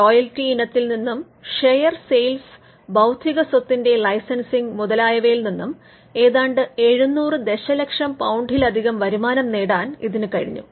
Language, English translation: Malayalam, Now, this has generated an income in excess of 700 million pounds from royalties, share sales and licensing intellectual property